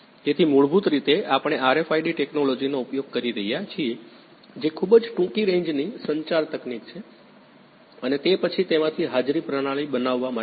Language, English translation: Gujarati, So, basically we are using RFID technology that is very short range communication technology and then building attendance system out of it